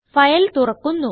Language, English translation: Malayalam, The file opens